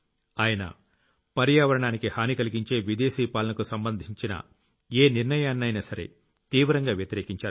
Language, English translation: Telugu, He strongly opposed every such policy of foreign rule, which was detrimental for the environment